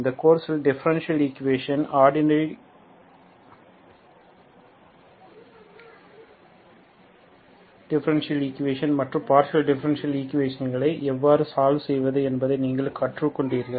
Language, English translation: Tamil, In this course you have learnt how to solve differential equations, ordinary differential equations as well as partial differential equations